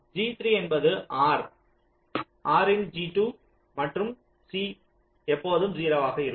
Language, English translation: Tamil, g three, g three is the or of g two and c is always zero